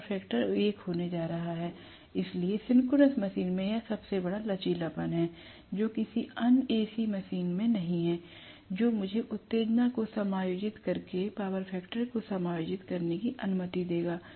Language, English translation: Hindi, I am going to have unity power factor, so synchronous machine has this greatest flexibility, which is not there in any other AC machine, which will allow me to adjust the power factor by adjusting the excitation